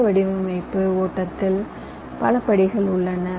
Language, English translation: Tamil, there are many steps in this design flow